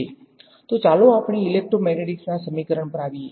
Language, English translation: Gujarati, Then let us come to the equations of electromagnetics